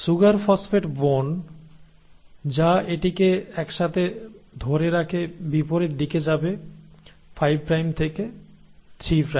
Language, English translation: Bengali, And the sugar phosphate bone which holds it together will be going in the opposite direction, 5 prime to 3 prime